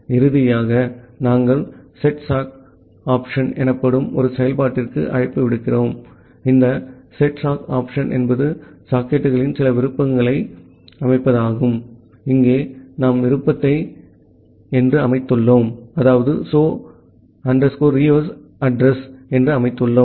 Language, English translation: Tamil, And finally, we make a call to a function called setsockopt, this setsockopt is to set some option to the socket, here we have set the option is so reuse addr